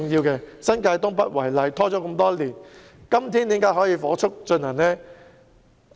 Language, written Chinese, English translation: Cantonese, 以新界東北為例，問題已經拖延很多年，時至今天才可以火速推行。, Take North East New Territories as an example the problems have been dragging on for many years and they should be resolved quickly now